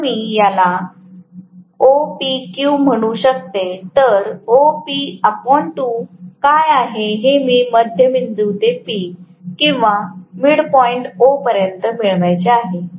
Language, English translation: Marathi, If I may call this as OPQ I want to get what is OP by 2 from the midpoint to P or midpoint to O